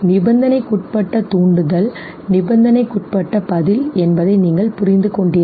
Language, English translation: Tamil, Conditioned stimulus, conditioned response, what is a conditional stimulus